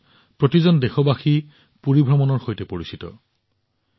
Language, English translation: Assamese, All of us are familiar with the Puri yatra in Odisha